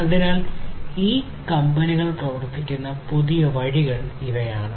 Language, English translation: Malayalam, So, these are newer ways in which these companies are working